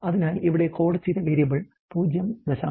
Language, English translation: Malayalam, So, the coded variable here is really that it is 0